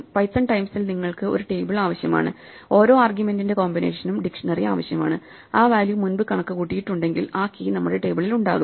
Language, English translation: Malayalam, You just need a table, in python terms; you just need a dictionary for every combination of arguments if that value has been computed before that key will be there in our table